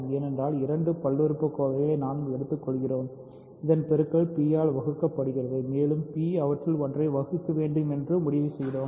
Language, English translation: Tamil, Because we have taken two polynomials whose product is divisible by p and we concluded that p must divide one of them